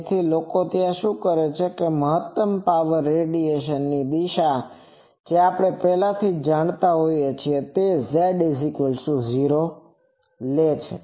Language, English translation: Gujarati, So, what people do that the maximum power radiation direction we already know that is z is equal to 0